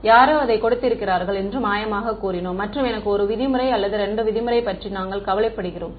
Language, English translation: Tamil, We had said magically someone has given it to me and we were only worrying about 1 norm or 2 norm